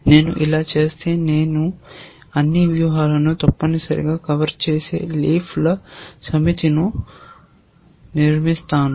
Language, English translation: Telugu, If I do this, so, I should write here set of, I will construct a set of leaves which will cover all strategies essentially